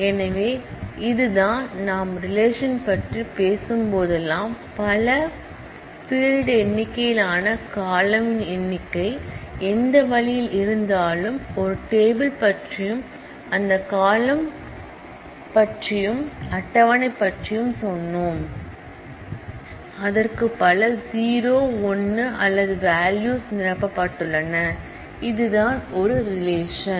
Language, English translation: Tamil, So, this is it, whenever we talk about a relation, we have a number of fields number of attributes number of columns, whatever way, we said of a table and that table according to those columns, it has multiple 0 1 or any number of rows of values, filled in and that is what is a relation